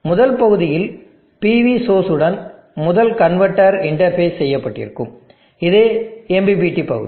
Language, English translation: Tamil, The first part, the first converter which is interfacing with the PV source is the MPPT part